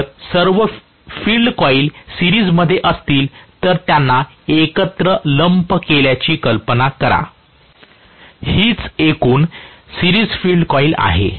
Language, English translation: Marathi, If I have all of them in series, all the field coils are in series, imagine them to be lumped together that is what is the total series field coil